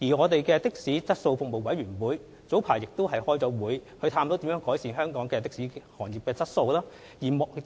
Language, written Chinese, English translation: Cantonese, 的士服務質素委員會早前曾舉行會議，探討如何改善香港的士行業的質素。, The Committee on Taxi Service Quality conducted a meeting some time ago to explore how services provided by the local taxi trade could be improved